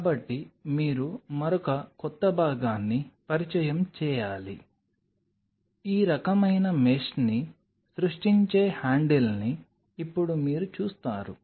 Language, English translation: Telugu, So, you have to introduce another new component, a handle which will create this kind of mesh now you look at it